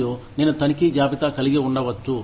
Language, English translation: Telugu, And, I can have a checklist